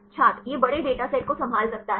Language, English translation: Hindi, It can handle large dataset